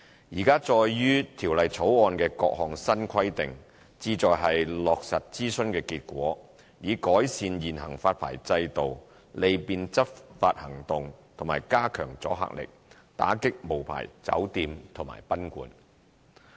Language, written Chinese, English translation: Cantonese, 現載於《條例草案》的各項新規定，旨在落實諮詢的結果，以改善現行發牌制度、利便執法行動及加強阻嚇力，打擊無牌酒店及賓館。, The new requirements set out in the Bill seek to implement the findings of the consultation to improve the current licensing regime to enhance deterrence and to facilitate enforcement actions against unlicensed hotels and guesthouses